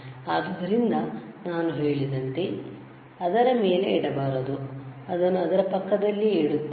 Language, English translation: Kannada, So, like I said, we should not place on it we are placing it next to it, all right